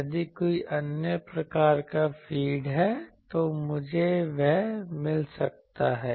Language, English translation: Hindi, If any other type of feed, I can find that